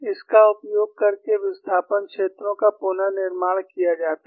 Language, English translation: Hindi, Using that, the displacement fields are reconstructed